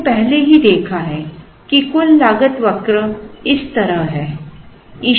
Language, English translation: Hindi, We have already seen that the total cost curve is like this